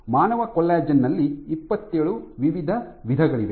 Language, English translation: Kannada, So, that there are 27 distinct types of human collagen